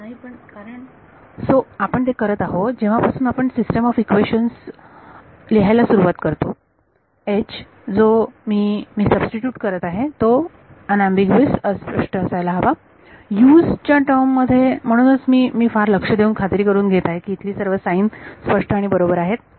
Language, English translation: Marathi, So, we are doing that going from when we start writing the system of equations the H that I substitute has to be unambiguous in terms of the Us that is why I am making taking great means to ensure that the signs are correct over here